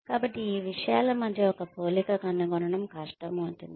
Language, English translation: Telugu, So, finding a match between these things, becomes difficult